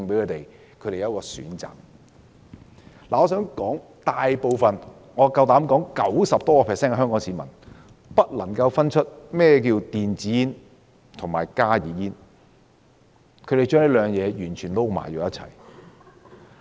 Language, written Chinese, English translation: Cantonese, 我大膽指出，超過 90% 的香港市民未能分辨甚麼是電子煙和加熱煙，並將兩者混為一談。, I dare to bet that over 90 % of Hong Kong people cannot distinguish between electronic and HnB cigarettes . They are confused about these two being the same thing